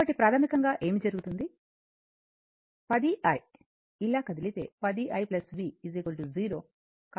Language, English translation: Telugu, So, it is basically what will happen, 10 i, if we move like this, 10 i plus v is equal to 0